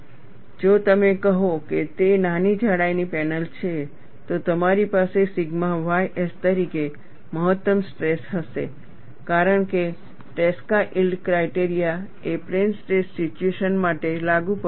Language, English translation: Gujarati, And if you say, it is a panel of small thickness, you will have a maximum stress as sigma y s because () yield criteria is the one, which is applicable for plane stress situation